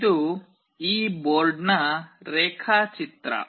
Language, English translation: Kannada, This is the diagram of this board